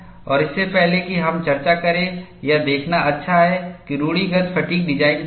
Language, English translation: Hindi, And before we discuss, it is good to look at, what is the conventional fatigue design